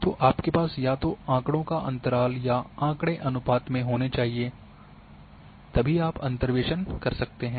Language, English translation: Hindi, So, you need to have either interval data or ratio data where you can do the interpolation